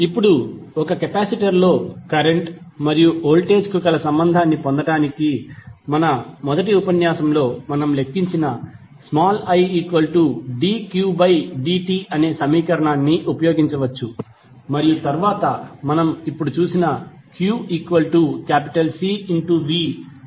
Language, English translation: Telugu, Now, to obtain current voltage relationship in a capacitor, we can use the equation I is equal to dq by dt, this what we calculated in our first lecture and then q is equal to C V which we just now saw